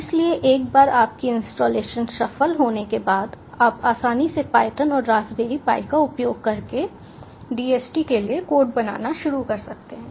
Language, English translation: Hindi, so once your installation is successful you can easily start creating a codes for dht using python and raspberry pi